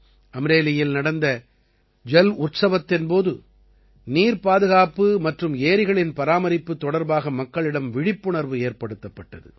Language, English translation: Tamil, During the 'JalUtsav' held in Amreli, there were efforts to enhance awareness among the people on 'water conservation' and conservation of lakes